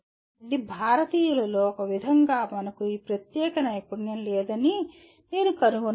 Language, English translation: Telugu, This is somehow as Indians, I find that we do not have this particular skill